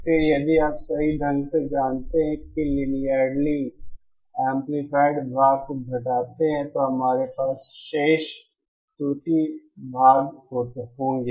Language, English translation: Hindi, Then if that you know the correctly the linearly amplified part is subtracted, then all we will have remaining is the error part